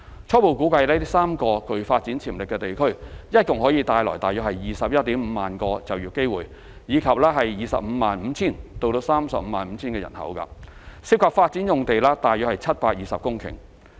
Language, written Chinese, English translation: Cantonese, 初步估計這3個具發展潛力地區共可帶來 215,000 個就業機會，以及 255,000 至 350,000 人口，涉及發展用地約720公頃。, Based on preliminary estimation the three PDAs can bring about a total of 215 000 job opportunities and accommodate a population of around 255 000 to 350 000 involving around 720 hectares of development area